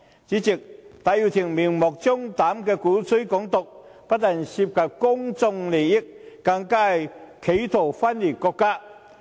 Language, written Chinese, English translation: Cantonese, 主席，戴耀廷明目張膽地鼓吹"港獨"，不但涉及公共利益，更是企圖分裂國家。, President Benny TAI has blatantly propagated Hong Kong independence involving not only public interest but also in an attempt at secession of the country